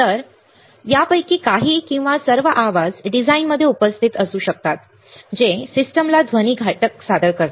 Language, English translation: Marathi, So, some or all the of this noises may be present in the design, presenting a noise factor meaning to the system